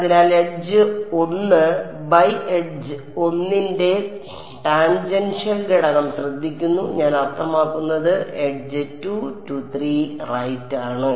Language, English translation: Malayalam, So, T 1 takes care of the tangential component of edge 1 by edge 1 I mean edge 2 3 right